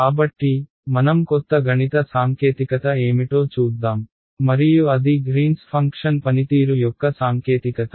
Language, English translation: Telugu, So, let us go in to see what that the new mathematical technique is and that is the technique of greens functions ok